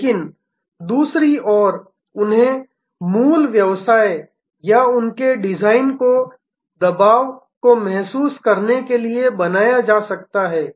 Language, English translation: Hindi, But, on the other hand they can be made to feel or their design to feel the pressure of the original business